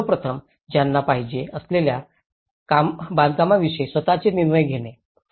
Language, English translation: Marathi, And first of all, making their own decisions about the construction they wanted